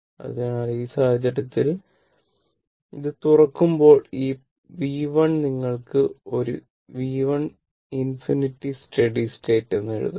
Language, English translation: Malayalam, So, in that case, here as it open for that, this V 1 you can write as a V 1 infinity steady state